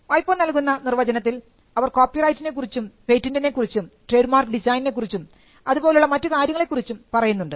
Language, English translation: Malayalam, Now you will find in the WIPOs definition that they talk about patents they talk about copyrights they talk about trademarks designs and similar rights